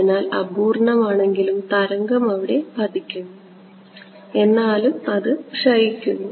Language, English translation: Malayalam, So, that even though is imperfect the wave will hit it, but still it will decay ok